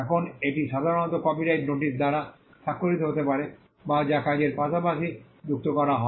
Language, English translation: Bengali, Now this could normally be signified by a copyright notice that is adduced along with the work